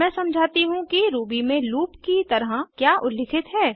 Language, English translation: Hindi, Now let me explain what is referred to as a loop in Ruby